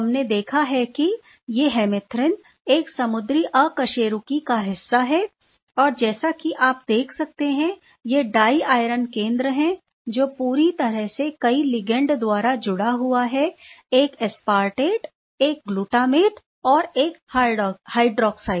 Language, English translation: Hindi, We have seen that these hemerythrin is part of a marine invertebrates and these are the diiron center completely bridged species with bridged by multiple ligand as you can see; one aspartate, one glutamate and one hydroxide